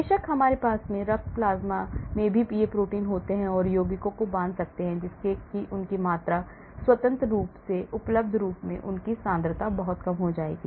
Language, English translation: Hindi, Of course, we also have these proteins in the blood plasma and compounds can bind to that thereby their amount, their concentration in the freely available form will be very less